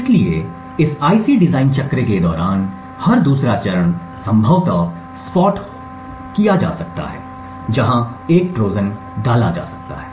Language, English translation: Hindi, So, every other stage during this life's IC design cycle could potentially be spot where a Trojan can be inserted